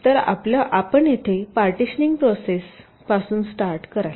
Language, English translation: Marathi, so here you start from the partitioning process